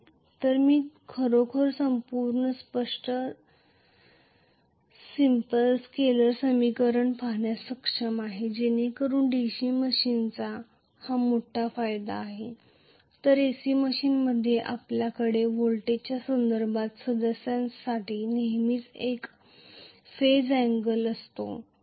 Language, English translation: Marathi, So I am able to really look at whole thing simple scaler equation so that is the major advantage of DC machines whereas in AC machines you are always going to have a phase angle for the current with respect to the voltage